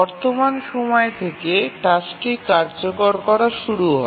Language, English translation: Bengali, So, from the current time the task is started executing